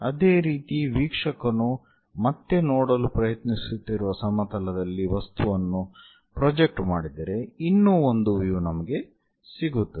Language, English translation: Kannada, Similarly, the object projected onto the plane where observer is trying to look at again, one more view we will get